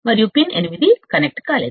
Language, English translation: Telugu, And pin 8 is not connected